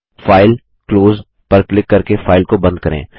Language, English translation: Hindi, Let us now close this file by clicking on File gtgt Close